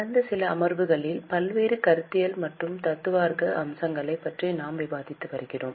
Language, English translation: Tamil, Namaste In last few sessions we have been discussing about various conceptual and theoretical aspects